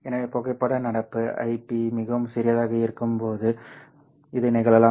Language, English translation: Tamil, So this can happen when the photo current IPH is quite small